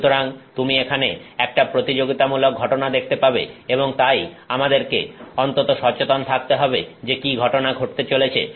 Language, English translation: Bengali, So, you will see here that there are some competing phenomena going on and so, we have to be at least conscious of what is going on